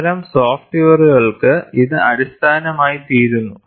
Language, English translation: Malayalam, It forms the basis, for such softwares